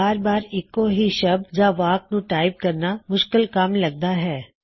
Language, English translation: Punjabi, It can be cumbersome to type these sentences or words again and again